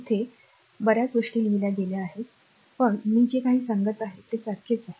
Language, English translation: Marathi, So many things are written here, but whatever I am telling meaning is same right